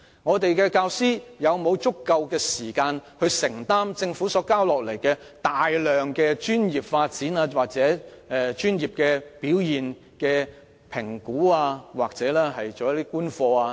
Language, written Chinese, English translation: Cantonese, 香港的教師是否有足夠時間承擔政府要求他們進行的繁重工作，如專業發展、表現評估或觀課等？, Do teachers in Hong Kong have sufficient time to undertake an onerous amount of work required of them by the Government in such respects as professional development performance appraisal or lesson observations?